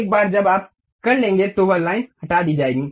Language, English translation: Hindi, Once you are done, that line will be removed